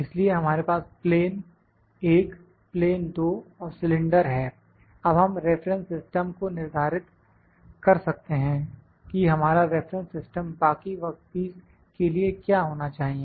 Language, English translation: Hindi, So, we have plane one, plane two and cylinder now we can set the reference system here reference system that what should be our reference point for rest of the work piece